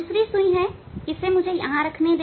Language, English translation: Hindi, Another let me keep it here